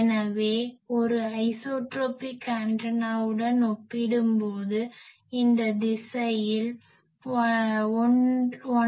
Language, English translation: Tamil, So, compared to an isotropic antenna it forms, 1